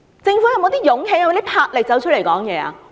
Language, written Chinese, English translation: Cantonese, 政府是否有勇氣和魄力出來發聲？, Does the Government have such courage and strength to make its voice heard?